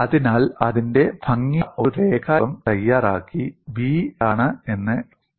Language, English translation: Malayalam, So, make a neat sketch of it and then write down what is v